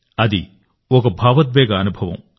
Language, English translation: Telugu, It was an emotional experience